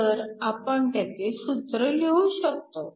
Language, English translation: Marathi, So, we can write an expression for that